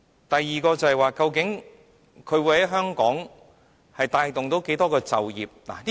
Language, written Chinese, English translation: Cantonese, 第二，究竟會在香港帶動多少就業機會？, Second how many employment opportunities will be created in Hong Kong?